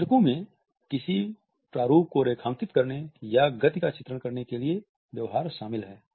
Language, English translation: Hindi, Illustrators include behaviors to point out outline a form or depict a motion